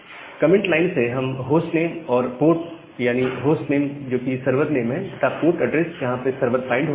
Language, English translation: Hindi, So, then from the comment line, we take the hostname and a port, the host name of the name of the server and the port address where the server is getting binded